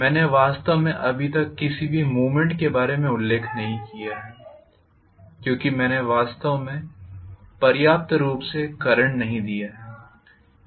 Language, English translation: Hindi, I have not really mentioned about any movement so far because I have not really sufficiently pumped in you know enough amount of current